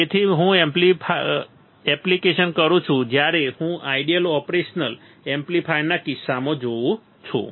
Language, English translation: Gujarati, So, when I apply the; when I see that in case of ideal operation amplifier